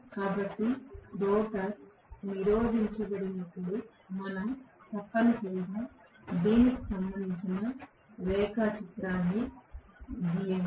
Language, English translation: Telugu, So, when the rotor is blocked we are essentially looking at let me first draw the diagram corresponding to this